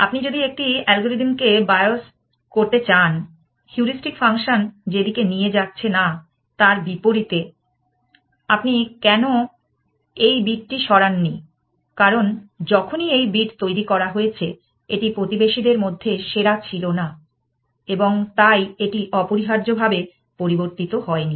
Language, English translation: Bengali, If you want to bios a algorithm, opposite towards those areas which the heuristic function is not taking it to, why did you not move this bit, because whenever this bit was generated, it is the noted generated was not the best amongst the neighbors and so, it never got changed essentially